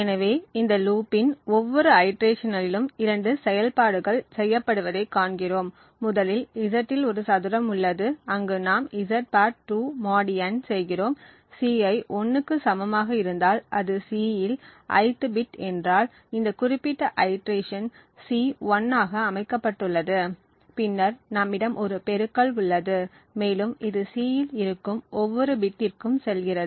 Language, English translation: Tamil, So in each iteration of this loop we see that there are two operations that are performed, first is a squaring on Z, where we have (Z^2 mod n) that is performed and if Ci is equal to 1 that is if the ith bit in C in this particular iteration is set to 1, then we also have a multiplication and this goes on for every bit present in C